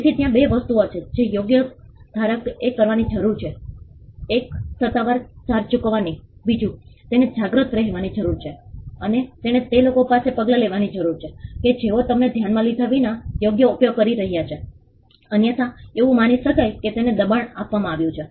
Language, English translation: Gujarati, So, there are 2 things the right holder needs to do 1 pay the official charges 2 he needs to be vigilant, and he needs to take action against people who are using the right without us consider, otherwise it could be assumed that he has given a pressure right